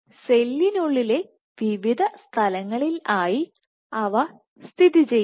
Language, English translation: Malayalam, And they are present at various locations within the cell